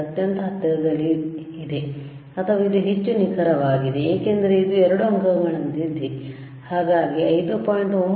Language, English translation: Kannada, 92 are extremely close or or this is more accurate, because this is like 2 digit we can see further after right so, so 5